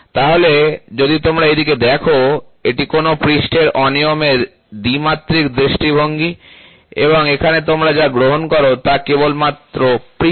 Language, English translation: Bengali, So, if you look at it, this is the two dimensional view of a surface irregularity and here what you take is only surface